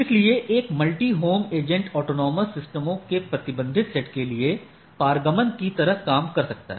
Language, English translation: Hindi, So, a multihome AS can perform transit AS routing for restricted set of agent autonomous systems